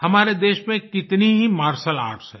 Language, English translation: Hindi, Our country has many forms of martial arts